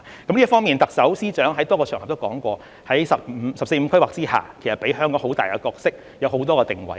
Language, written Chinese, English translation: Cantonese, 在這方面，特首、司長在多個場合都說過，"十四五"規劃給予香港很大的角色，有很多個定位。, In this connection the Chief Executive and the Financial Secretary have stated on numerous occasions that the 14th Five - Year Plan has given Hong Kong a very significant role to play in multiple positions